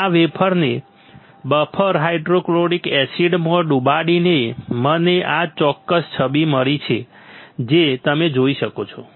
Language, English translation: Gujarati, By dipping this wafer into buffer hydrofluoric acid I will get this particular image what you can see